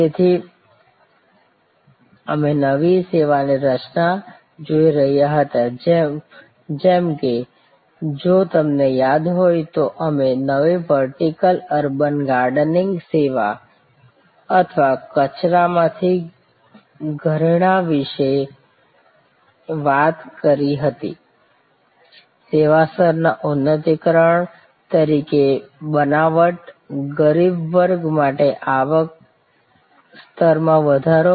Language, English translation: Gujarati, So, we were looking at new service creation, like if you recall we talked about that vertical urban gardening service or jewelry from trash, creation as a service level enhancement, income level enhancement for rag pickers